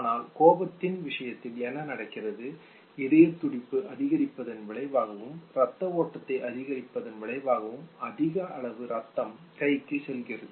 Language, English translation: Tamil, But what happens in the case of anger, as a consequence of increasing the heartbeat, and increasing the blood flow, there is a disproportionately high amount of blood that goes into ones hand